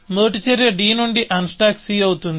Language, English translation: Telugu, So, this becomes our first action; unstack c from d